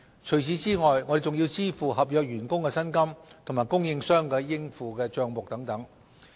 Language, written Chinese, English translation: Cantonese, 除此之外，我們還要支付合約員工的薪金和供應商的應付帳目等。, There are also other expenses such as salaries of contract staff as well as accounts payable to suppliers